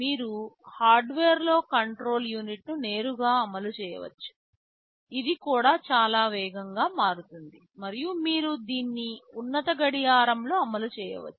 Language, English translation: Telugu, You can directly implement the control unit in hardware, if you do it in hardware itthis also becomes much faster and you can run it at a higher clock